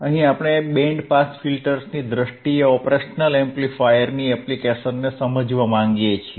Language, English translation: Gujarati, Here, we want to understand the application of the operational amplifier in terms of band pass filters